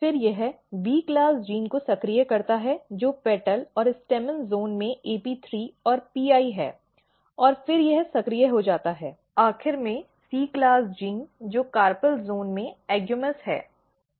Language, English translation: Hindi, Then it activates B class gene which is AP3 and PI in petal and stamen zones and then it activates, finally, C class gene which is AGAMOUS in the carpel zones